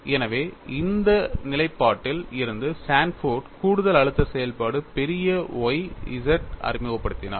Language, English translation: Tamil, So, from this stand point, Sanford introduced additional stress function capital Y z, is it justified this also we have to look at it